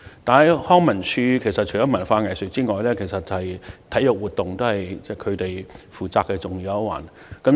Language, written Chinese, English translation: Cantonese, 但是，康文署除負責文化藝術活動外，其實體育活動亦是重要一環。, Nevertheless LCSD is not only responsible for cultural and arts activities and sports activities are in fact an integral part as well